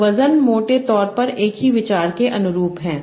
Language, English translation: Hindi, So the weights correspond to roughly the same idea